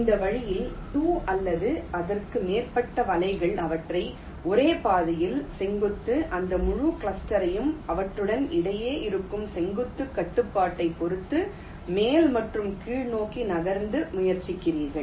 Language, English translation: Tamil, in this way, two or more nets, you try to group them in the same track and move that entire cluster up and down, depending on the vertical constraint that exist between them